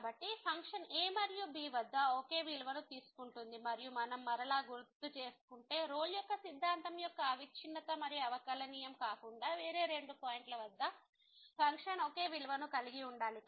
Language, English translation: Telugu, So, the function is taking same value at and and if we recall again the condition was for Rolle’s theorem other than the continuity and differentiability that the function should be having the same value at the two end points